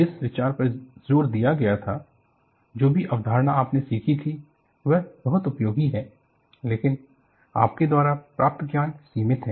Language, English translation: Hindi, The idea that was emphasized was, whatever the concept that you had learned, are very useful, but the knowledge you gained is limited